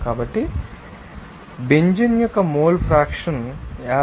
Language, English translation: Telugu, So, it is coming finally, that mole fraction of Benzene is 58